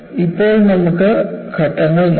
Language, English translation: Malayalam, Now, let us look at the steps